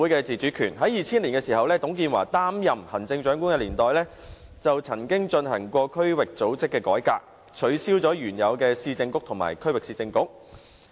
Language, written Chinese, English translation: Cantonese, 在2000年，在董建華擔任行政長官的年代，曾經進行區域組織改革，取消原有的市政局和區域市政局。, In 2000 when TUNG Chee - hwa was the Chief Executive he implemented the reform of district administration and abolished the original Urban Council and Regional Council